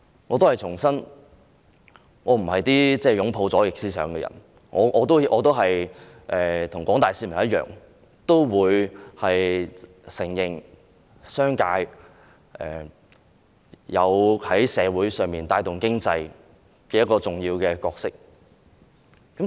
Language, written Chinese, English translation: Cantonese, 我重申，我不是擁抱左翼思想的人，我跟廣大市民一樣，承認在社會上商界有帶動經濟發展的重要角色。, I reiterate that I do not embrace the left - wing views and I like the general public recognize the important role played by the business sector in stimulating economic development